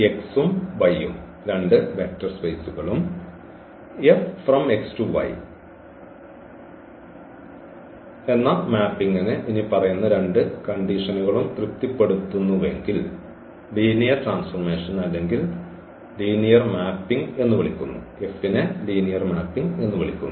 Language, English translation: Malayalam, So, X and Y be two vector spaces and the mapping F from X to Y is called linear transformation or linear mapping if it satisfies the following 2 conditions